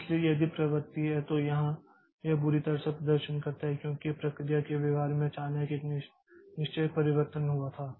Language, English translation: Hindi, So, if the train so here it performed miserably because there was a certain change, sudden change in the behavior of the process